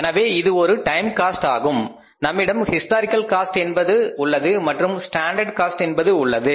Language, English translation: Tamil, So you can say that we have the historical cost and we have the standard cost